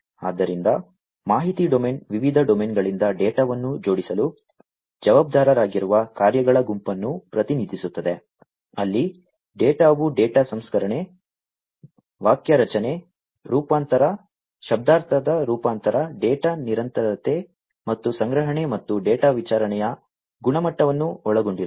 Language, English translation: Kannada, So, the information domain represents the set of functions responsible for assembling the data from various domains, where the data consists of quality of data processing, syntactic transformation, semantic transformation, data persistence, and storage and data distribution